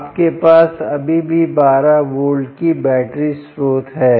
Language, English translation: Hindi, you still have a twelve volt battery source